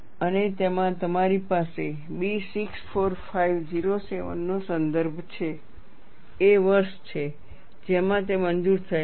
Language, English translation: Gujarati, And in that, you have a reference to B 645 07, 07 is the year in which it is approved